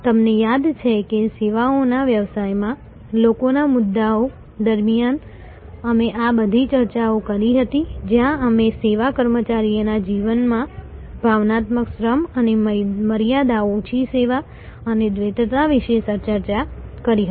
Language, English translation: Gujarati, You remember we had these, all these discussions during the people issues in services business, where we discussed about emotional labour and boundary less service and duality in the life of a service employee